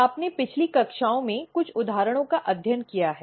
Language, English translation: Hindi, You have already studied some of the example in the previous classes